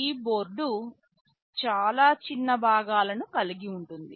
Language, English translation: Telugu, This board contains a lot of small components